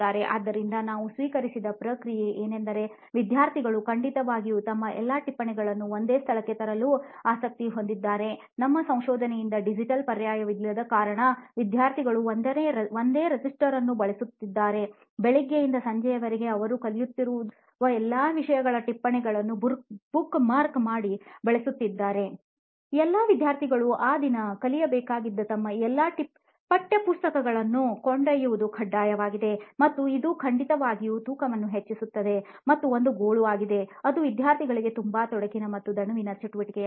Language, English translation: Kannada, So the feedback that we received is that students are certainly interested to bring all their notes into one location essentially, because they do not have a digital alternative our feedback from our research what we have identified is that lot of students are using a single register to capture notes from all the subjects that they are learning from say morning till evening and they probably use bookmarks or posts it to you know organize their notes within that single notebook